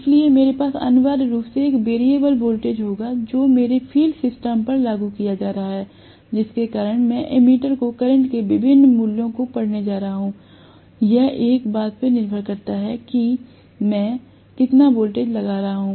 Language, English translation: Hindi, So, I will have essentially a variable voltage being applied to my field system because of which I am going to have the ammeter reading different values of currents, depending upon how much voltage I am applying